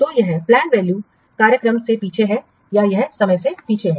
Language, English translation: Hindi, So this is lagging behind the planned schedule